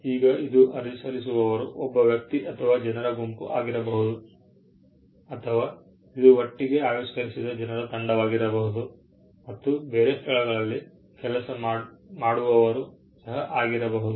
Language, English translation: Kannada, Now, this can be natural person, either an individual or a group of people, or it could also be a team of people who together come and create, but, working in different locations